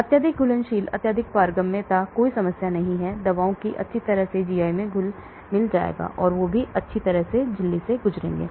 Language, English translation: Hindi, The highly soluble highly permeable there is no problem, drugs will nicely get solubilized in GI, and they will also nicely pass through the membrane